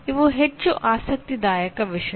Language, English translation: Kannada, These are more interesting things